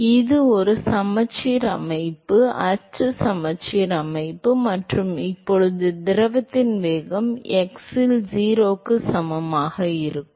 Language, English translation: Tamil, So, it is a symmetric system, axi symmetric system and now what will be the velocity of the fluid at x equal to 0